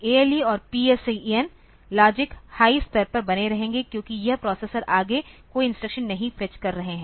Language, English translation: Hindi, ALE and PSEN will hold at logic high level since it is the processor is not fetching any further instruction